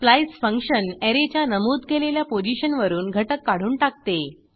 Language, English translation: Marathi, splice function removes an element from a specified position of an Array